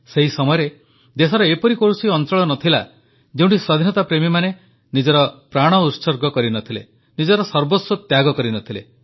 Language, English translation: Odia, During that period, there wasn't any corner of the country where revolutionaries for independence did not lay down their lives or sacrificed their all for the country